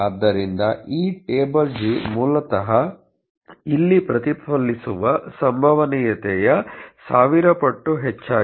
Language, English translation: Kannada, So, this table g is basically 1000 times the probability that is being reflected here